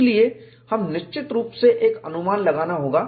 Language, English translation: Hindi, So, we have to necessarily make an approximation